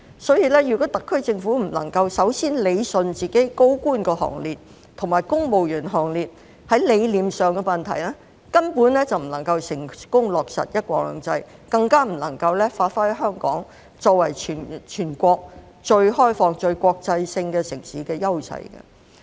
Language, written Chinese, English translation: Cantonese, 所以，如果特區政府不能夠首先理順自己的高官行列和公務員行列在理念上的問題，根本不能夠成功落實"一國兩制"，更不能夠發揮香港作為全國最開放、最國際化城市的優勢。, Therefore if the SAR Government is unable to address the conceptual issue of its senior officials and civil servants in the first place it basically cannot successfully implement one country two systems or even leverage the edges of Hong Kong as the most open and international city of the whole nation